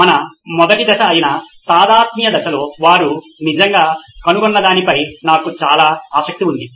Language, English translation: Telugu, I am very curious on what they really found out in the empathize phase which is our first phase